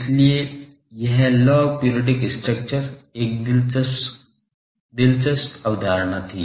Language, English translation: Hindi, So, this log periodic structure is was an interesting concept and various thing